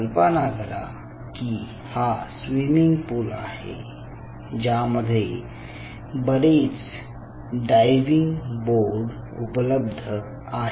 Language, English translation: Marathi, so now imagine this as ah swimming pool with multiple diving board boards like this